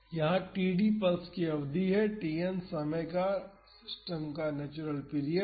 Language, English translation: Hindi, Here td is the duration of the pulse and Tn is the natural period of the system